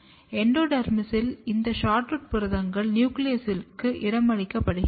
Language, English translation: Tamil, And in endodermis, what happens, this SHORTROOT proteins get localized to the nucleus